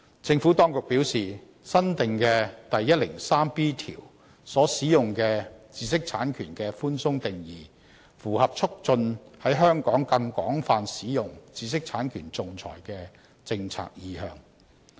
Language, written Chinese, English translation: Cantonese, 政府當局表示，新訂的第 103B 條所使用的"知識產權"的寬鬆定義，符合促進在香港更廣泛使用知識產權仲裁的政策意向。, The Administration has advised that the broad definition of intellectual property rights in new section 103B is in line with the policy intent of facilitating the wider use of IP arbitration in Hong Kong